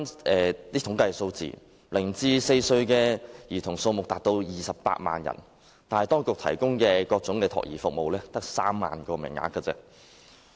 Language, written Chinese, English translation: Cantonese, 據統計，香港0歲至4歲兒童數目達到28萬人，但當局提供的各種託兒服務只有3萬個名額。, According to statistics the number of children between the age of zero to four in Hong Kong has reached 280 000 but only 30 000 child care service places are provided by the authorities